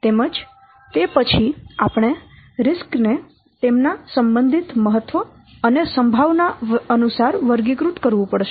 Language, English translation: Gujarati, Then we have to classify by using the relative importance and the likelihood